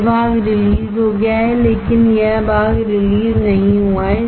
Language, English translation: Hindi, This part is released but this part is not released